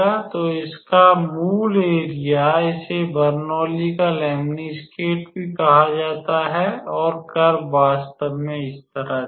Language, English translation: Hindi, So, the required area of this, this is also called as a Lemniscate of Bernoulli and the curve actually looks like this